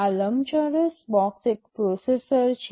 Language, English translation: Gujarati, This rectangular box is a processor